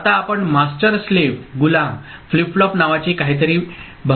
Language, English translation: Marathi, Now, we look at something called master slave flip flop ok